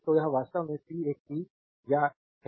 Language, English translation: Hindi, So, this is actually p is a power